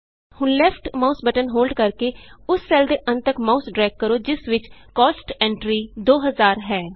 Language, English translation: Punjabi, Now holding down the left mouse button, drag the mouse till the end of the cell which contains the cost entry, 2000